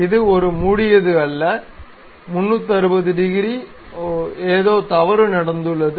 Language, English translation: Tamil, It is not a closed one, 360 degrees, oh something has happened wrong